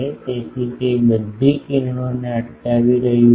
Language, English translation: Gujarati, So, it is not intercepting all the rays